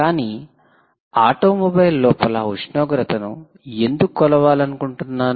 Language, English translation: Telugu, so why do you want to measure the temperature inside an automobile